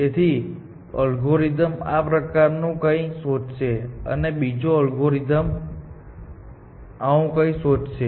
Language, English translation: Gujarati, Then, one algorithm will search something like this, and the other algorithm will search something like this